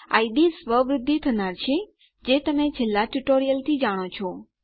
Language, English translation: Gujarati, The id is auto increment, if you know from the last tutorial